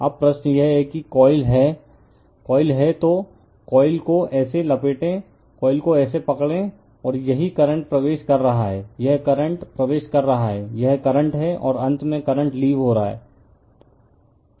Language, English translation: Hindi, Now, question is that it is a coil, if you have a coil, you wrap the coil like this, you grabs the coil like this, and this is the current is entering right, this is the current entering, this is the curren, and finally the current is leaving